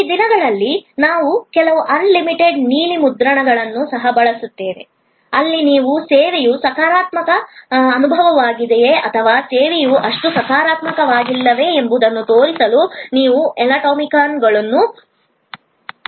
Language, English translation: Kannada, These days, we also use some animated blue prints, where you can use the so called emoticons to show that, whether the service was the positive experience or whether the service was not so positive and so on